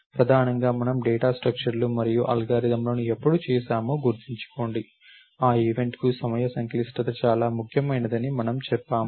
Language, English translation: Telugu, Primarily, because remember when we did the data structures and algorithms, we said time complexity is the very important for that event